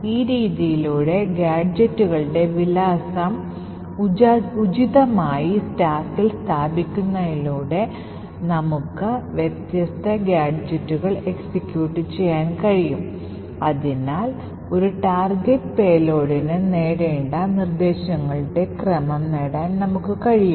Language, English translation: Malayalam, In this way by appropriately placing address of gadgets on the stack, we are able to execute the different gadgets and therefore we are able to achieve the sequence of instructions that a target payload had to achieve